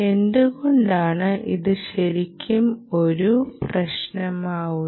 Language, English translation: Malayalam, why is this really a problem